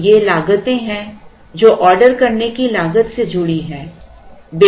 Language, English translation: Hindi, So, there are these costs that are associated with the cost of ordering